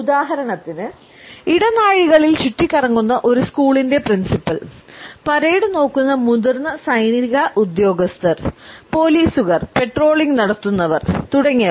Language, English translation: Malayalam, For example, the principal of a school taking grounds in the corridors, senior military personnel, looking at the parade policemen patrolling the beat etcetera